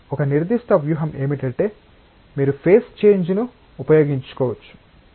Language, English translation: Telugu, One particular strategy is you can employ change of phase